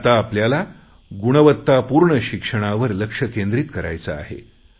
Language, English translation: Marathi, Now we will have to focus on quality education